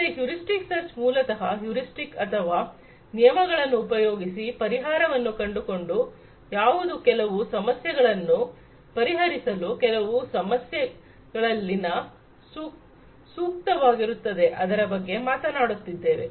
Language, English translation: Kannada, So, heuristic search basically talks about heuristics or rules of thumb being used to come up with solutions which will be good enough to solve certain problems at a certain point of time